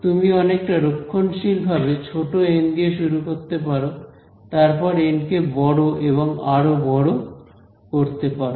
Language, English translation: Bengali, So, you might start out conservatively choose some small n and then start making n larger and larger right